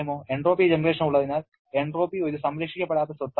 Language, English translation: Malayalam, Entropy is a non conserved property because of the presence of entropy generation